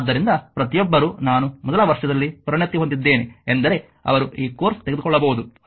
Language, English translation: Kannada, So, everybody I mean all the specializing in first year they can they can take this course right and